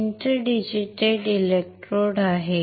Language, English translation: Marathi, There are inter digitated electrodes